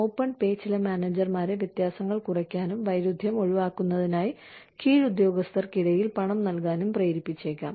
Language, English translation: Malayalam, Open pay might induce some managers, to reduce differences and pay, among subordinates, in order to, avoid conflict